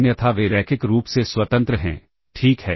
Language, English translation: Hindi, Else they are linearly independent, all right